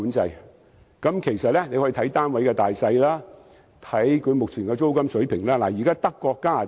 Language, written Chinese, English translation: Cantonese, 政府其實可以視乎單位的大小，以及目前的租金水平實施租金管制。, Actually the Government may impose rent control depending on the sizes of units and the prevailing rent level